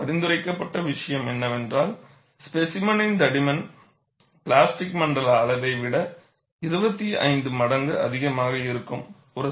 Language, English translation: Tamil, And what is recommended is, the specimen thickness should be more than 25 times of the plastic zone size